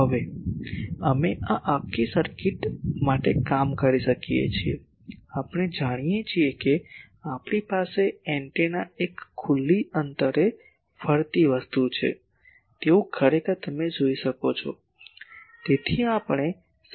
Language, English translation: Gujarati, Now, we can for this whole circuit, we know that we can have a actually you see antenna is a open end radiating thing